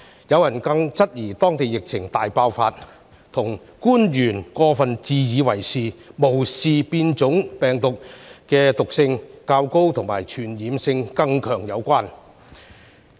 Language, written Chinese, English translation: Cantonese, 有人質疑，當地疫情大爆發與官員過分自以為是，無視變種病毒的毒性及傳播力更強有關。, Some people suspected that the epidemic outbreak in Taiwan was attributable to the arrogance of the officials and their ignorance of the increased virulence and higher transmissibility of the mutant strain